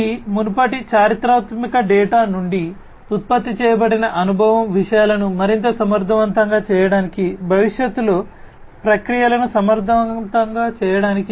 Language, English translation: Telugu, The experience that is generated from this previous historical data to make things much more efficient, to make processes efficient in the future